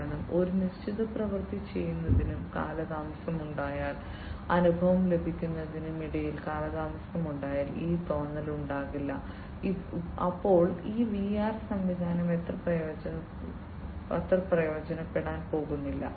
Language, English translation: Malayalam, Because otherwise that feeling will not come if there is a delay between performing a certain action and actually getting the experience the perception if there is a delay, then you know this VR system is not going to be much useful